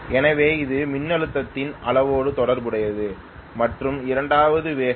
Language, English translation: Tamil, So okay, this is related to the magnitude of voltage and the second one is speed